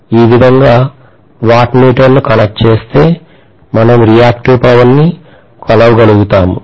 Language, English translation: Telugu, If I connect a wattmeter somewhat like this, we will be able to measure the reactive power